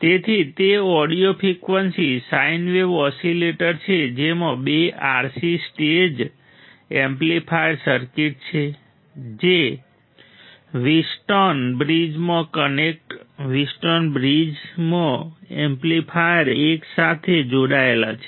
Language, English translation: Gujarati, So, it is an audio frequency sine wave oscillator audio frequency sine wave oscillator it has two RC stage right two stage RC amplifier circuit connected in a Wheatstone bridge connected in a Wheatstone bridge with an amplifier stage right